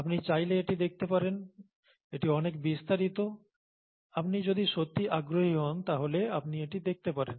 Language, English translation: Bengali, If you want you can take a look at it, it’s a lot of detail, if you’re really interested you can go and take a look at this